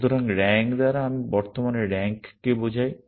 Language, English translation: Bengali, So, by rank I mean the current rank